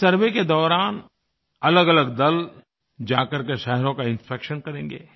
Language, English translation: Hindi, Separate teams will go to cities for inspection